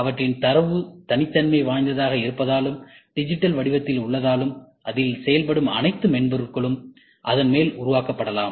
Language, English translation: Tamil, And since their data is unique present, there in the form of digital, so all the software’s which further work on it can be developed on top of it